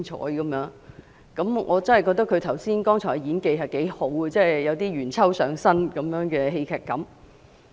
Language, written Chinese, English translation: Cantonese, 我也覺得她剛才的演技不俗，有點"元秋"上身的戲劇感。, I also think that just now she was quite an actress adding a touch of drama to her speech in a manner reminiscent of YUEN Qiu